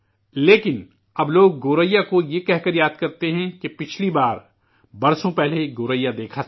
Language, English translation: Urdu, But now people recollectGoraiya by telling you that last they had seen Goraiyawas many years ago